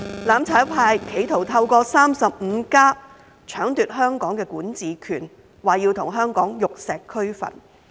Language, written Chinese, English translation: Cantonese, "攬炒派"企圖透過 "35+"， 搶奪香港管治權，說要與香港玉石俱焚。, The mutual destruction camp attempted to usurp the power to rule Hong Kong through the 35 saying that they want to burn with Hong Kong